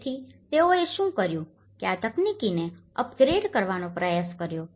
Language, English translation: Gujarati, So, what they did was they try to upgrade this technology